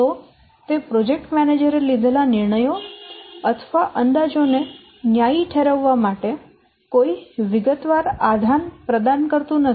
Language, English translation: Gujarati, It does not provide any detailed basis for justifying the decisions or the estimates that a project manager has made